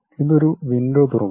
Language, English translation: Malayalam, It opens a window